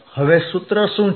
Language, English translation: Gujarati, Now what is the formula